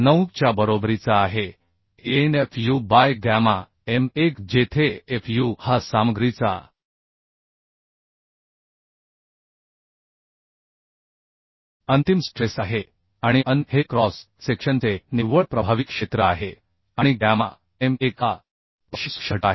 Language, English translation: Marathi, 9Anfu by gamma m1 where fu is the ultimate stress of material and An is the net effective area of the cross section and gamma m1 is a partial safety factor So for plate simply we can find out Tdn as 0